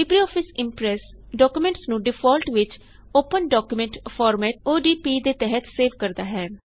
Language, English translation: Punjabi, By default the LibreOffice Impress saves documents in the Open document format